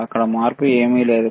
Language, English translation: Telugu, There is no change, right